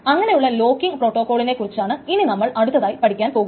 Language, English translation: Malayalam, So that is the locking protocol that we are going to study next